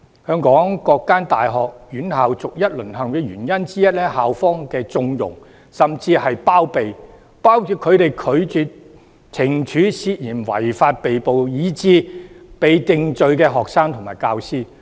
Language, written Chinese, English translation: Cantonese, 香港各所大專院校逐一"淪陷"的原因之一，是校方的縱容甚至是包庇，包括拒絕懲處涉嫌違法被捕，以致已被定罪的學生和教師。, The connivance or even covering up by the school administrations is one of the reasons leading to the fall of various local universities to the hands of rioters . Such connivance includes their refusal to punish students and teaching staff members who have allegedly broken the law and have been arrested or convicted